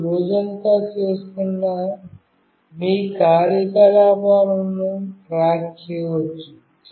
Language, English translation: Telugu, You can keep a track of your activities that you are doing throughout the day